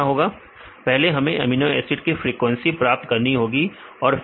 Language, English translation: Hindi, First we have to get the frequency of amino acids and then